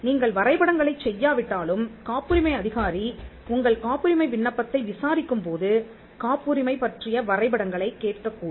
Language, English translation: Tamil, Even if you do not file the drawings, the patent controller can ask for drawings, when the patent officer is prosecuting your patent application